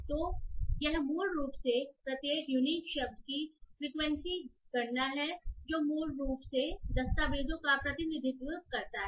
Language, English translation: Hindi, So this is basically a frequency count of each unique word that basically represents the documents